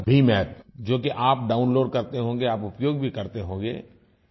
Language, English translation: Hindi, You must be downloading the BHIM App and using it